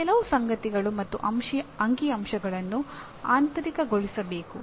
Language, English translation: Kannada, But it is some of these facts and figures have to be internalized